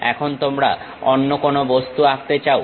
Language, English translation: Bengali, Now, you would like to draw some other object